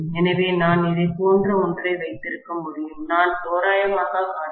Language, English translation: Tamil, So, I can have something like this, I am just showing approximately